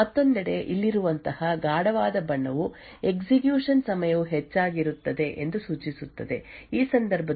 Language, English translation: Kannada, On the other hand a darker color such as these over here would indicate that the execution time was higher in which case the P i process has incurred cache misses